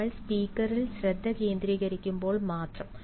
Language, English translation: Malayalam, only when we concentrate on the speaker